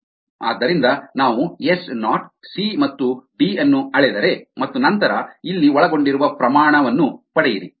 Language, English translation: Kannada, so we are going to measure s naught, c and d and then get the rated that are involved here